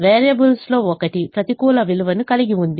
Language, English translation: Telugu, one of the variables has a negative value